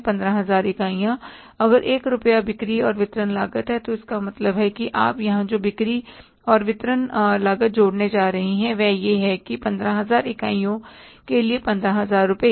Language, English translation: Hindi, If the 1 rupees selling and distribution cost, it means the selling a distribution cost you are going to add up here is that is going to be say for 15,000 units, how much 15,000 rupees